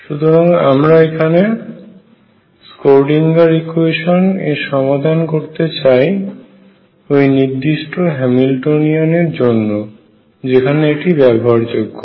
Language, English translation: Bengali, So, we want to solve the Schrödinger equation for this particular Hamiltonian and where is it useful